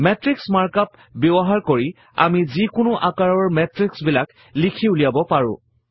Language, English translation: Assamese, So using the matrix mark up, we can write matrices of any dimensions